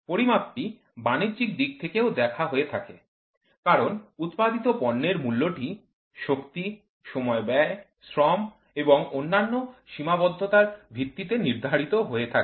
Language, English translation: Bengali, The measurement is also biased of commerce, because the cost of the product are established on the basis of amount of material, power, expenditure of time, labour and other constraints